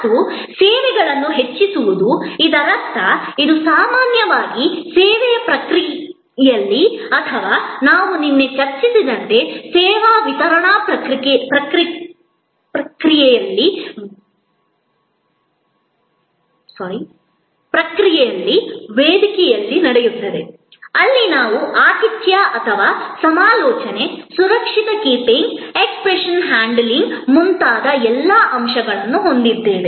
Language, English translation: Kannada, And enhancing services; that means it happens usually during the process of service or as we discussed yesterday, it happens on stage during the service delivery process, where we have all these elements like hospitality or consultation, safe keeping, exception handling and so on